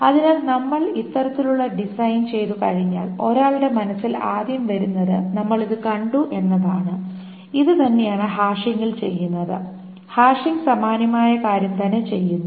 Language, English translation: Malayalam, So as soon as I make this kind of design, the first thing that comes to one's mind is we have seen this and this is exactly what is being done in hashing